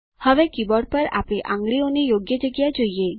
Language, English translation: Gujarati, Now, lets see the correct placement of our fingers on the keyboard